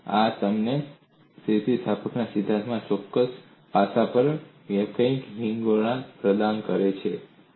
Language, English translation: Gujarati, So this provides you a comprehensive over view, on certain aspect of theory of elasticity